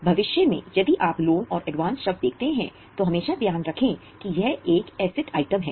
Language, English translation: Hindi, So in future if you see the word loan and advance, always keep in mind that it is an asset item